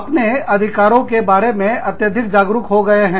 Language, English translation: Hindi, People are becoming, much more aware of their rights